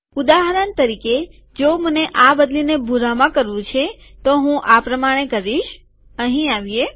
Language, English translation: Gujarati, For example if I want to change this to blue, I will do the following